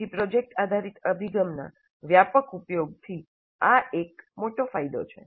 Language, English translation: Gujarati, So this is a great benefit from widespread use of project based approach